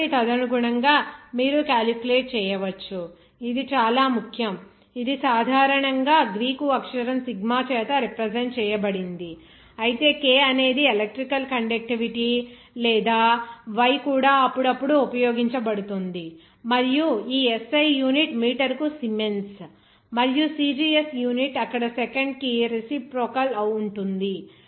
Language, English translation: Telugu, So, accordingly, you can calculate, this is very important, it is commonly represented by the Greek letter sigma, but K is electrical conductivity or Y are also occasionally used and also you will see that this SI unit is siemens per meter and the CGS unit is reciprocal of that second there